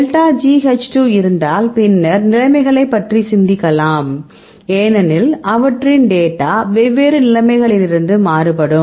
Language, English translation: Tamil, So, delta G H 2 be had, then we can also think about your conditions right, because their data varies from different conditions